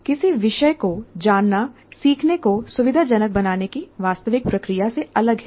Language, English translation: Hindi, Knowing the subject is different from the actual process of facilitating learning